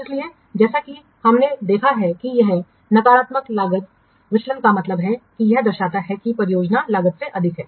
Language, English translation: Hindi, So here, as we have seen that here negative cost variance means it represents that the project is over cost